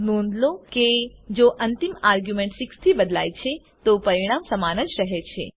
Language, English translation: Gujarati, Note that if the ending argument changes to 6 the result remains the same